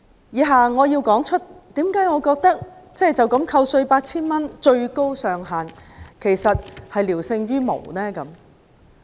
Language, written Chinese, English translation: Cantonese, 以下我解釋為何我認為最高上限扣稅 8,000 元聊勝於無。, In my following speech I will explain why I think the maximum tax - deductible amount of 8,000 is just better than none